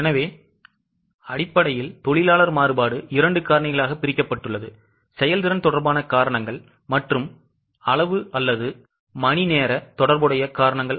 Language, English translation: Tamil, So, basically, the labor variance is divided into two causes, efficiency related causes and quantity or hour related causes